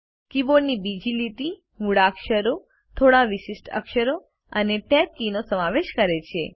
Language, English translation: Gujarati, The second line of the keyboard comprises alphabets few special characters, and the Tab key